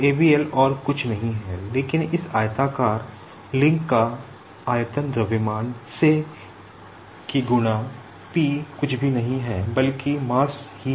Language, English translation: Hindi, So, abl is nothing but the volume of this rectangular link multiplied by EMBED Equation